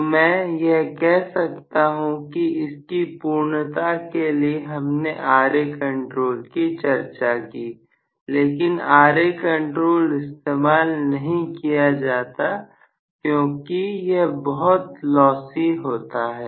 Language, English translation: Hindi, So, I would say that although we for sake of completeness we discussed Ra control Ra control is really not a very recommended one because it is lossy